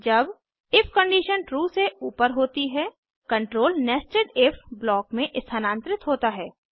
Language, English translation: Hindi, when if condition above is true, control moves into nested if block